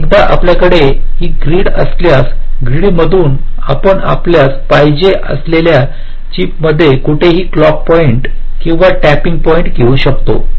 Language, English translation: Marathi, so once you have this grid, from the grid you can take the clock points or tapping points to anywhere in the chip you want